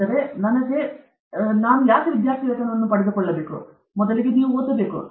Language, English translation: Kannada, So, for that, you have to get scholarship; you have to read